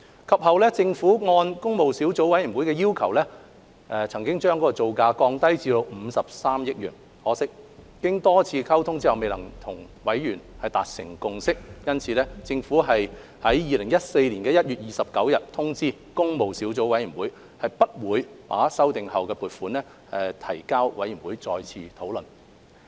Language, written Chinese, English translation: Cantonese, 及後，政府按工務小組委員會要求將造價降低至53億元，可惜經多次溝通後仍未能由委員達成共識，因此政府於2014年1月29日通知工務小組委員會不會把修訂後的撥款建議提交委員會再次討論。, Subsequently the Government reduced the cost to 5.3 billion in response to the request of PWSC . Unfortunately consensus could not be reached among Members after rounds of communications . Hence the Government informed PWSC on 29 January 2014 that it would not submit the revised funding application to PWSC for another discussion